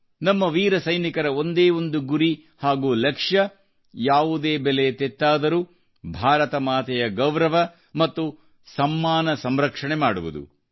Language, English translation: Kannada, Our brave soldiers had just one mission and one goal To protect at all costs, the glory and honour of Mother India